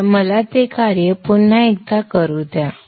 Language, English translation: Marathi, So let me do that execution once again